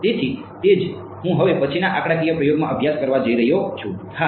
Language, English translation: Gujarati, So, that is what I am going to study in the next numerical experiment all right yeah ok